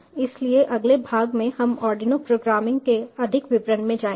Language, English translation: Hindi, so in the next part we will go in to more details of arduino programming